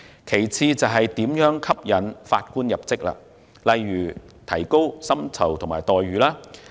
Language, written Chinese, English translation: Cantonese, 其次，如何吸引法官入職，例如提高薪酬及待遇等。, Second it has to explore ways to attract Judges such as offer better remuneration and benefits